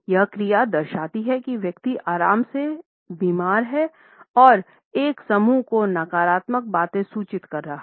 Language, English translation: Hindi, This action demonstrates that the person is ill at ease and can communicate a cluster of negative things